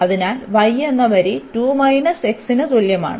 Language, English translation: Malayalam, So, this is the line y is equal to 2 minus x